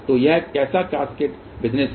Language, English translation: Hindi, So, what is this cascaded business